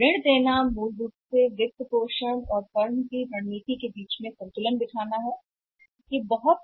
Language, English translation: Hindi, Granting credit credit is basically trading off between the financing and strategy of the firm